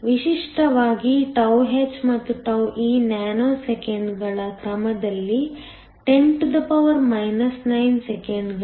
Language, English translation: Kannada, Typically, τh and τe are of the order of nanoseconds is 10 9 second